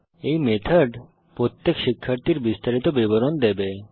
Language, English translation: Bengali, This method will give the detail of each student